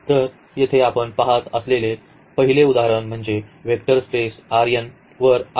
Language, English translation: Marathi, So, here the first example we are considering that is the vector space R n over R